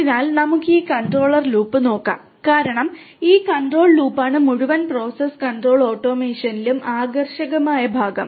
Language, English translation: Malayalam, So, we let us look at this Control Loop because it is this control loop which is the attractive part in the whole process control automation and so on